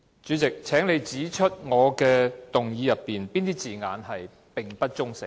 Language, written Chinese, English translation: Cantonese, 主席，請你指出我的議案中哪些字眼屬不中性。, President will you please point out the wording in my motion which is considered not neutral?